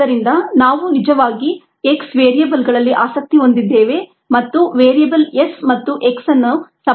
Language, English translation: Kannada, so we are actually interested in the variables x, n relating the variable s and x